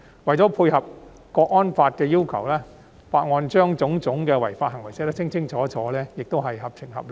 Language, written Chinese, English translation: Cantonese, 為配合《香港國安法》的要求，《條例草案》清楚列明各種違法行為，此舉亦是合情合理。, To dovetail with the requirements of the National Security Law it is fair and reasonable for the Bill to set out clearly the various types of illegal acts